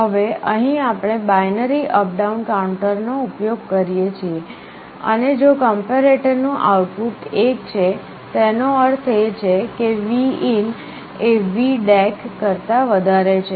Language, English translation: Gujarati, Now here we use a binary up down counter, and if the output of the comparator is 1; that means, Vin is greater than VDAC we increment the counter, if it is reverse we decrement the counter